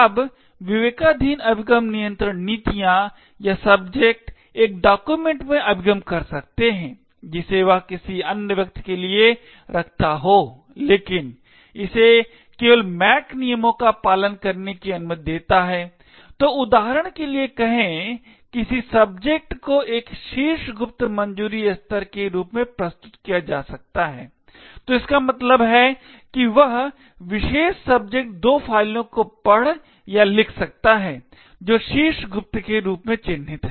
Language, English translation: Hindi, Now with the discretionary access control policies are subject may grant access to a document that he or she owns to another individual, however this can only be permitted provided the MAC rules are meant, so for example say that a particular subject as a top secret clearance level, so this means that, that particular subject can read or write two files which are marked as top secret